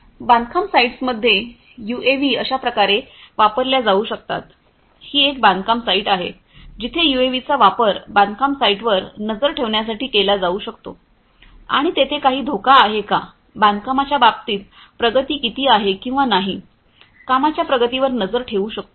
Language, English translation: Marathi, In construction sites UAVs could be used like this; this is a construction site where the UAVs could be used to monitor the construction sites and you know whether there is any hazard, whether there is how much is the progress in terms of construction, monitoring the progress of the work